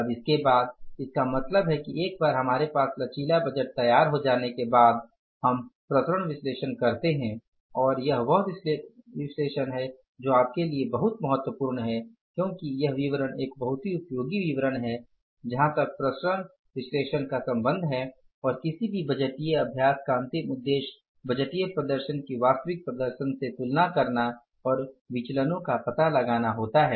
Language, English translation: Hindi, Now, after this means once the flexible budget is ready with us, we go for the variance analysis and this is a statement which is of very significantly used to you because this statement is a very useful statement as far as the variance analysis is concerned and ultimate purpose of any budgeting exercise is to compare the budgeted performance with the actual performance and find out the variances, right